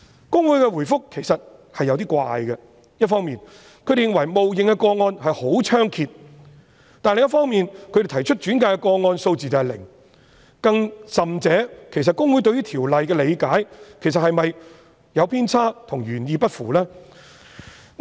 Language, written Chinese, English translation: Cantonese, 公會的答覆其實有點奇怪，一方面認為冒認的個案十分猖獗，但另一方面，轉介的個案數字是零，更甚者，其實公會對於《條例》的理解是否有偏差，與原意不符？, In fact the reply of HKICPA is rather unusual . On the one hand HKICPA considers that the situation of false claim is rampant but on the other hand it has made no referrals at all . Worse still it is doubtful whether HKICPAs interpretation of the provision is actually flawed and inconsistent with the original intention of the Ordinance